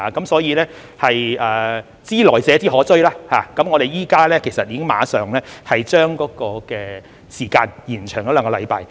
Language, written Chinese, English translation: Cantonese, 所以，"知來者之可追"，我們已經馬上將時間延長兩星期。, Knowing that past mistakes could be rectified in future we thus immediately extended the deadline by two weeks